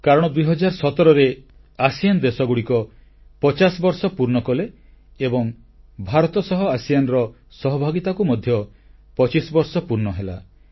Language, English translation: Odia, ASEAN completed its 50 years of formation in 2017 and in 2017 25 years of India's partnership with ASEAN were completed